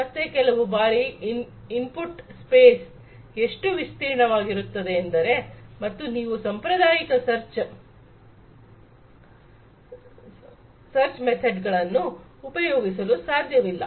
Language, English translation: Kannada, So, sometimes the input space is so, broad and if you do not use you know you cannot use the traditional search methods, right